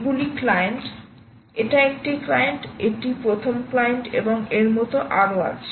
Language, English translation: Bengali, these are clients, client, this is a client, client one, and is goes on like this